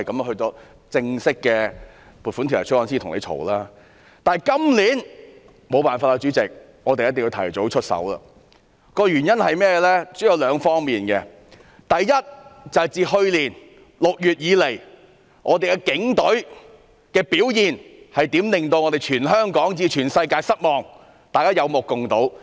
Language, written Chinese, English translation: Cantonese, 可是，主席，今年沒有辦法，我們必須提早出手，原因主要有兩方面，其一是自去年6月起，警隊的表現令全香港以至全世界失望，大家是有目共睹的。, Yet President we have no alternative but to intervene earlier this year . There are two main reasons . First since last June the performance of the Police has disappointed Hong Kong and the world as a whole which is obvious to all